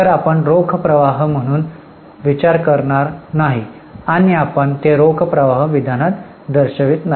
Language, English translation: Marathi, So, we will not consider it as a cash flow and will not show it in cash flow statement